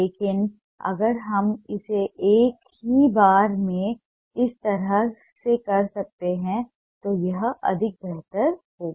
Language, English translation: Hindi, but if we can do it in a single go like this, this will be more preferable